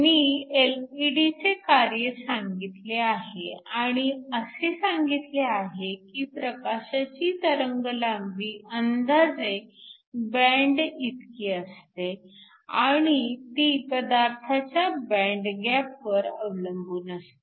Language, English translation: Marathi, So, I just describe the working of an LED, and said that the wavelength of the light is approximately equal to the band depends upon the band gap of the material